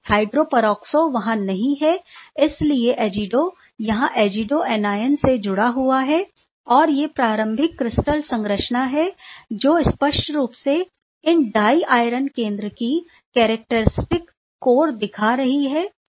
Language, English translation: Hindi, The hydroperoxo is not there that is why azido it is bound with azido anion and these are the early crystal structure which is clearly showing the characteristic core of these diiron center